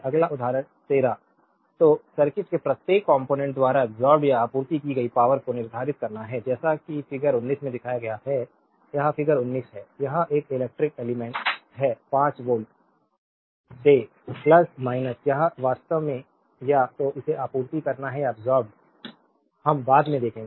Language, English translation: Hindi, Next example 13 so, you have to determine the power absorbed or supplied by each component of the circuit as shown in figure 19, this is figure 19 this is one electrical element is 5 voltage give plus minus, it actually either supply it or a absorbed we will see later